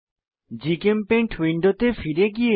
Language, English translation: Bengali, Let us switch to GChemPaint window again